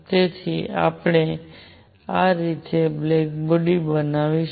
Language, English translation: Gujarati, So, we made a black body like this